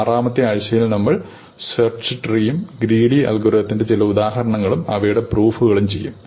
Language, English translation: Malayalam, In the sixth week, we will do search trees and some examples of greedy algorithms and their proofs